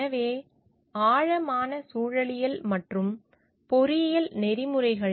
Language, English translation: Tamil, So, deep ecology and engineering ethics